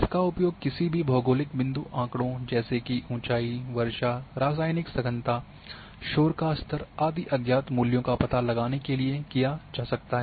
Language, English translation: Hindi, It can used to predict unknown values for any geographic point data such as elevation, rainfall, chemical, concentrations,noise level and so on